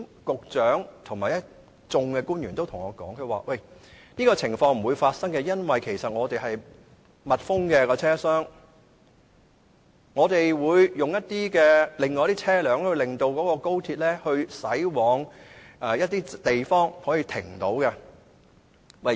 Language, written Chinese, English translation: Cantonese, 局長和一眾官員曾經對我說，這種情況不會發生，因為車廂是密封的，他們會安排車輛令高鐵駛往其他可以停泊的地方。, I have been told by the Secretary and many government officials that such circumstances would not arise since the train compartments are enclosed and vehicles would be arranged to divert XRL to other parking spaces